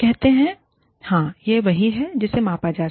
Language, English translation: Hindi, They say, yes, this is what is being measured